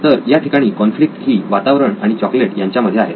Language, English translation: Marathi, So the conflict is between the environment and the chocolate